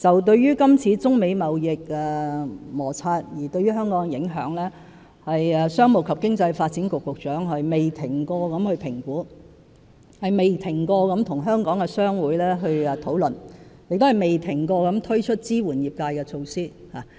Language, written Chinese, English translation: Cantonese, 對於今次中美貿易摩擦對香港的影響，商務及經濟發展局局長不斷進行評估，不斷與香港的商會討論，亦不斷推出支援業界的措施。, The Secretary for Commerce and Economic Development has been continuedly assessing the impact of the trade conflict between China and the United States on Hong Kong this time around . And he also maintains discussions with trade associations in Hong Kong and continuously rolls out measures to support the trades